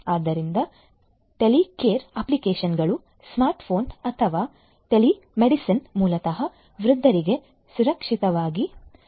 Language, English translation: Kannada, So, Telecare applications, smart phone or telemedicine basically can help elderly people to live safely